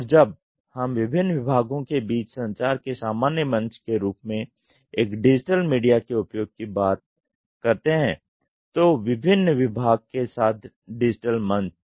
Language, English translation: Hindi, And when we use a digital media as the common platform of communicating between various departments, digital platform with various department